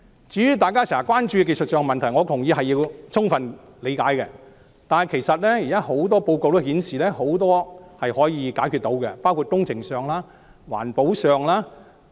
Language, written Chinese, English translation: Cantonese, 至於大家經常關注的技術問題，我同意要充分理解，但現時很多報告也顯示，很多工程上及環保上的問題是可以解決的。, As regard the technical issues which Members are always concerned about I agree that we should have a good understanding but as pointed out in many current reports many problems concerning engineering and environmental issues can be resolved